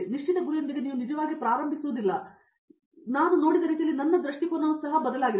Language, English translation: Kannada, My perspective has changed in that manner that I have seen that you don’t actually start with the fixed goal